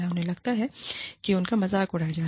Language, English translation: Hindi, They feel, that they have been mocked at